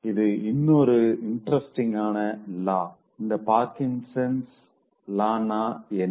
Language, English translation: Tamil, So that is a very interesting law suggested by Parkinson